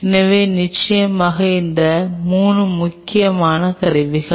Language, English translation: Tamil, So, definitely these 3 are some of the very important tools